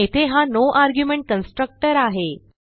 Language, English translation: Marathi, The constructor here is the no argument constructor